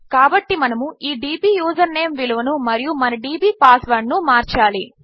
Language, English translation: Telugu, So we need to change this dbusername value and our dbpassword